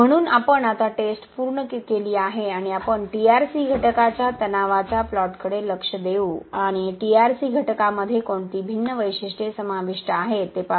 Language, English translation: Marathi, So, we have completed the test now and we will look at the stress strain plot of the TRC element and see what are different characteristics that is involved in a TRC element subjected to tensile stress